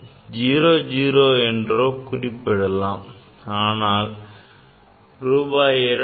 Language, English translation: Tamil, 00, but I cannot write rupees 200